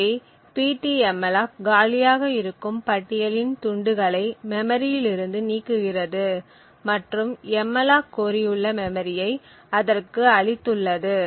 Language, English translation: Tamil, So, ptmalloc would in fact remove a free list chunk of memory present in this list and allocate this chunk of memory to this malloc request